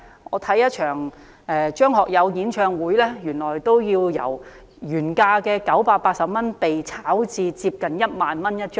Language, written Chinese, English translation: Cantonese, 我欣賞一場張學友的演唱會，尾場門票由原價980元被炒至接近 10,000 元一張。, I went to a concert by Jacky CHEUNG but the tickets for the finale which costed 980 originally were offered for resale for almost 10,000